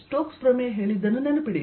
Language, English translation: Kannada, remember what did stokes theorem say